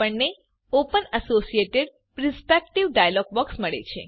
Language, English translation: Gujarati, We get the Open Associated Perspective dialog box